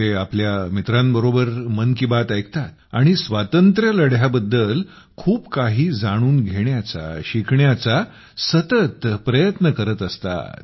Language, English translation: Marathi, He listens to Mann Ki Baat with his friends and is continuously trying to know and learn more about the Freedom Struggle